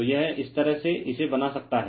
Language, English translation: Hindi, So, this is this way you can make it